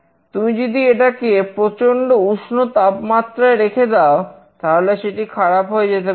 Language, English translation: Bengali, If you want to keep the medicine in a very hot place, it might get damaged